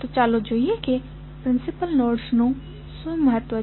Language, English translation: Gujarati, So, let us see what is the significance of the principal nodes